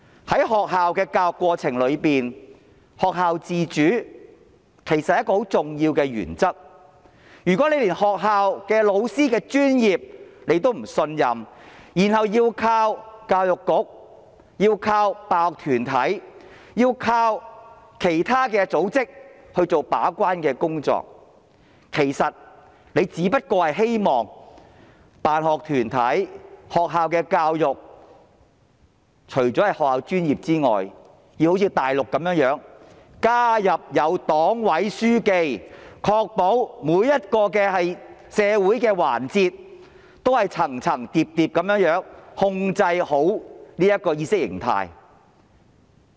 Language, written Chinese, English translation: Cantonese, 在學校的教育過程中，學校自主是很重要的原則，如果她連學校老師的專業也不信任，然後要靠教育局、辦學團體或其他組織做把關工作，其實她只不過是希望辦學團體和學校的教育，在學校專業以外要像內地般加入黨委書記，以確保在社會上每一個環節，政府都能夠層層疊疊地控制着意識形態。, In the process of school education school autonomy is a most crucial principle . If she does not even trust the professionalism of teachers in schools and relies on the Education Bureau school sponsoring bodies or other organizations to play the gate - keeping role actually she only wishes to place in school sponsoring bodies or school education a Secretary of Party Committee on top of the school professionals just as the Mainland has been doing . The objective is to ensure that in each and every aspect of society the Government can control the ideology from one level to the next